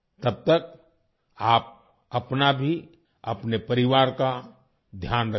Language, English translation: Hindi, Till then please take care of yourself and your family as well